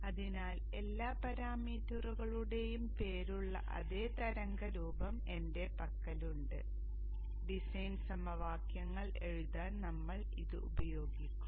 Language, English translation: Malayalam, So I have with me the same waveform figure with all the parameters named here with me and we shall use this for writing the equations design equations